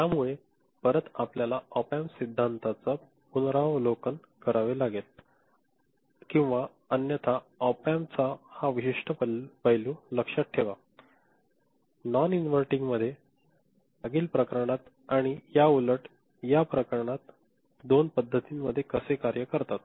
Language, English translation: Marathi, So, again you have to review your op amp theory or otherwise remember this specific aspect of op amp being used in non inverting, in the previous case and, inverting, in this particular case how they work in these two modes